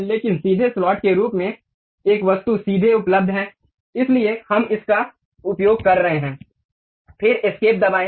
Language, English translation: Hindi, But there is an object straight forwardly available as straight slot; so, we are using that, then press escape